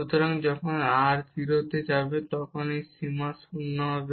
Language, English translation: Bengali, So, when r goes to 0 this limit will be 0